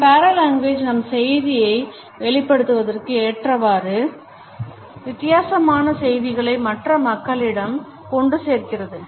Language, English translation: Tamil, Our paralanguage communicates different messages to the other people on the basis of how we pass on our messages